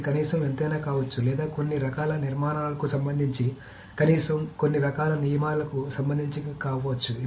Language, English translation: Telugu, So how much can it be anything or does it need to pertain to certain kinds of structure at least, certain kinds of rules at least